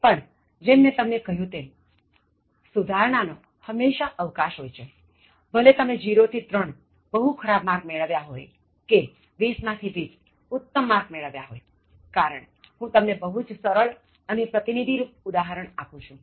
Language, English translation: Gujarati, But, as I said, there is always scope for improving, whether you are zero to three Very Poor or whether you are even, if you are 20 Outstanding, because I am giving you simple examples very representative examples